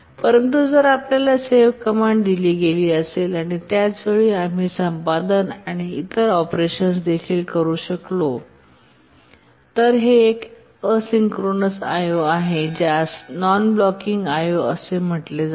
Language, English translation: Marathi, But if you are given a save command and at the same time you are able to also do editing and other operations, then it's a asynchronous I